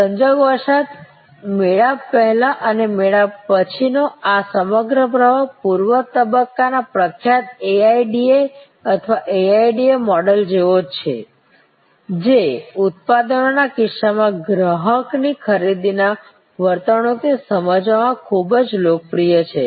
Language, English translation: Gujarati, Incidentally, this whole flow of pre encounter and post encounter of that, the pre stage is similar to the famous AIDA or AIDA model, quite popular in understanding consumer's buying behavior in case of products